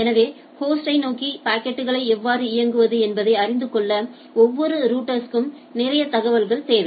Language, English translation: Tamil, So, every router needs to needs lot of information and to know how to direct packets towards the host